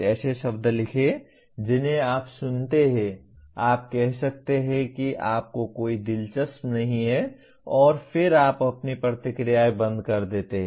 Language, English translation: Hindi, Write a few words that you listen to, you may say you are not interested and then you shut your responses